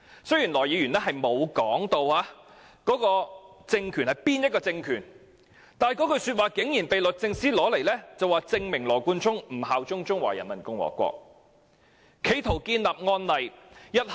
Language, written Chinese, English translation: Cantonese, 雖然他並沒有說明該政權是哪個政權，但這句話竟然被律政司用作羅冠聰不肯效忠中華人民共和國的證明，並視之為案例。, Although he did not specify which regime he was referring to his words were taken by DoJ as evidence of his refusal to swear allegiance to the Peoples Republic of China and it was also regarded as a precedent in law